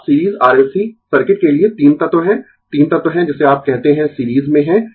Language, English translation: Hindi, So, now for series R L C circuit, we have three element three elements are in what you call are in series